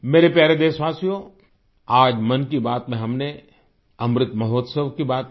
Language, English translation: Hindi, today in 'Mann Ki Baat' we talked about Amrit Mahotsav